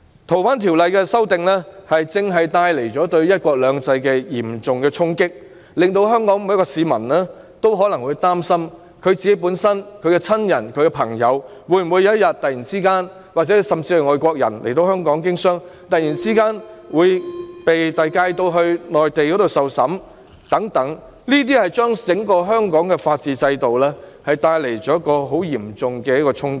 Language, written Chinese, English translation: Cantonese, 《逃犯條例》的修訂正正為"一國兩制"帶來嚴重衝擊，令每名香港市民也為自己、親人和朋友感到憂慮，而來港經商的外國人亦擔心會否有天突然被引渡到內地受審，對香港整個法治制度帶來嚴重衝擊。, The amendment to FOO has seriously impacted one country two systems causing concerns to each and every Hongkonger about themselves their relatives and their friends . Foreigners doing business in Hong Kong also worry whether some day they will be suddenly extradited to the Mainland for trial . It will deal a severe blow to the entire system of the rule of law in Hong Kong